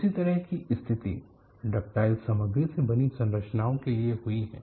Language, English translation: Hindi, A similar situation has happened for structures made of ductile materials